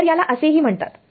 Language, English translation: Marathi, So, this is also called